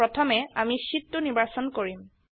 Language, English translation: Assamese, First, let us select sheet 2